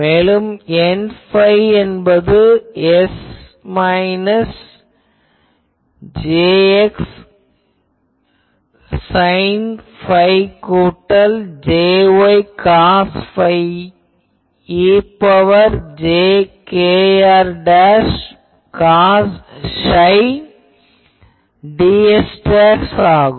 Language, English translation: Tamil, And L psi minus M x sine phi plus M y cos psi e to the power plus jkr dash cos psi ds dash